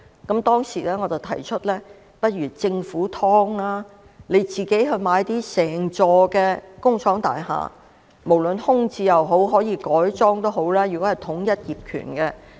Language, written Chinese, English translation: Cantonese, 我當時提出，不如由政府自己提供"劏房"，政府可購入整幢工廠大廈，是空置的也好，是改裝的也好，只要統一業權便行。, At that time I proposed that the Government might as well provide subdivided units itself . The Government could acquire an entire factory building . Be it vacant or converted it would do if the ownership was unified